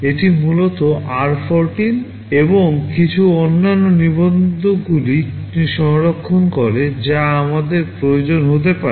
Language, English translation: Bengali, It essentially saves r14 and some other registers which I may be needing